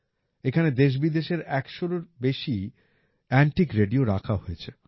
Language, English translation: Bengali, More than a 100 antique radios from India and abroad are displayed here